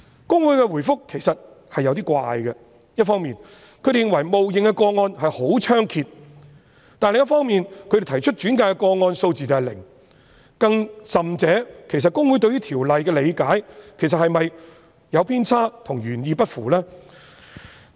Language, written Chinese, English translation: Cantonese, 公會的答覆其實有點奇怪，一方面認為冒認的個案十分猖獗，但另一方面，轉介的個案數字是零，更甚者，其實公會對於《條例》的理解是否有偏差，與原意不符？, In fact the reply of HKICPA is rather unusual . On the one hand HKICPA considers that the situation of false claim is rampant but on the other hand it has made no referrals at all . Worse still it is doubtful whether HKICPAs interpretation of the provision is actually flawed and inconsistent with the original intention of the Ordinance